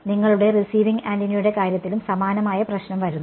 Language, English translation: Malayalam, And similar problem comes in the case of your receiving antenna right